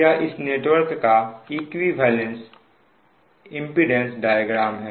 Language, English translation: Hindi, so this is equivalent impedance diagram of this network